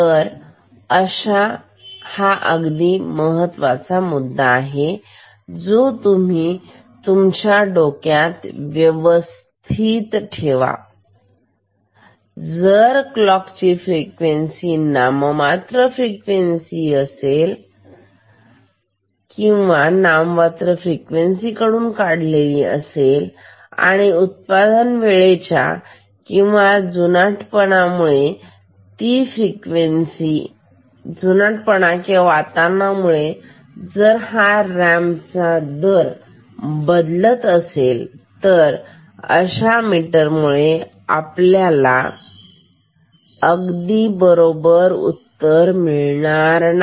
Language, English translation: Marathi, So, this is one point you must bear in your mind that, if either the frequency of the clock is deviating from the nominal frequency or if the ramp rate changes due to manufacturing or aging whatever, environmental factors then this meter will not give perfect result ok